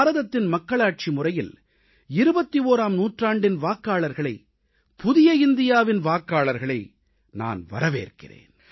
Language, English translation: Tamil, The Indian Democracy welcomes the voters of the 21st century, the 'New India Voters'